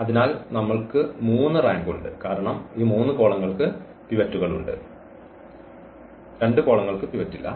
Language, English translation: Malayalam, So, we have the 3 rank because these 3 columns have pivots and these two columns do not have pivot